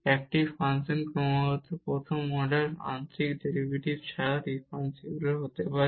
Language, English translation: Bengali, A function can be differentiable without having continuous first order partial derivatives